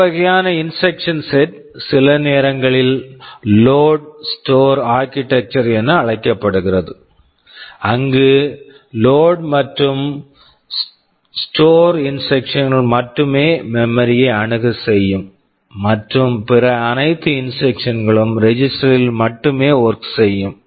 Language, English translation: Tamil, Thisese kind of instruction set is sometimes called load store architecture, that where only load and store instructions access memory and all other instructions they work only on the registers right